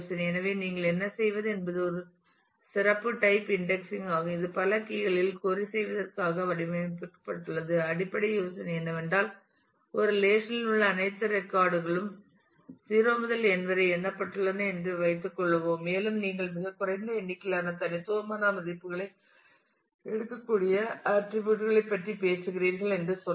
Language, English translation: Tamil, So, what you it is a special type of indexing which is designed for querying on multiple keys; the basic idea is that if let us assume that all records in a relation are numbered from 0 to n and let us say that you are talking about attributes which can take very small number of distinct values